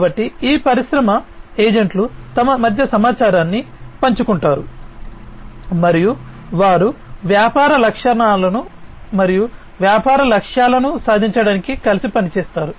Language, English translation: Telugu, So, these industry agents would be sharing information between themselves, and they would be working together for achieving the objectives of the business